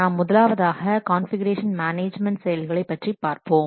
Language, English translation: Tamil, We'll see first the configuration management process